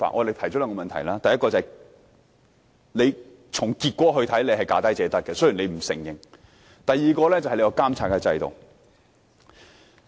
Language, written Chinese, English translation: Cantonese, 第一，從投標的結果看來，是"價低者得"，雖然政府不承認；第二是監察制度。, The first point is that judging from the tender results the approach of lowest bid wins is adopted despite the denial by the Government; and second the supervisory system